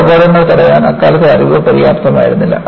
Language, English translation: Malayalam, The knowledge at that time was not sufficient to prevent these accidents